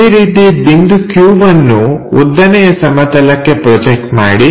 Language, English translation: Kannada, First, we have to project this point p to vertical plane